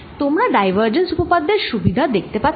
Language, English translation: Bengali, you can also see the power of divergence theorem